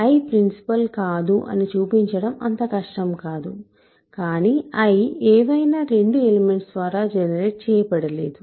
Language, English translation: Telugu, So, I is not principal which is not difficult to show and, but I is also not generated by any 2 elements